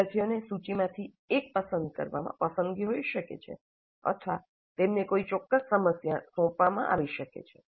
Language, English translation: Gujarati, Students may have a choice in selecting one from the list or they may be assigned a specific problem